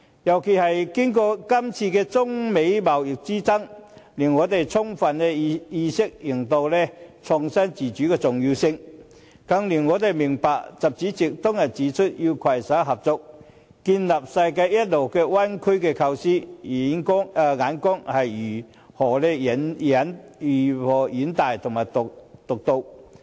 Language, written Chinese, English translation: Cantonese, 尤其是經過今次中美貿易之爭，令我們充分認識創新自主的重要性，更令我們明白習主席當日指出，要攜手合作建立世界一流灣區的構思，眼光是如何遠大和獨到。, The recent Sino - American trade conflicts more than anything else have brought home to us the importance of home - grown indigenous innovation . And we can thus also appreciate how visionary and insightful President XI was when he put forward the idea of building up a world - class bay area through cooperative efforts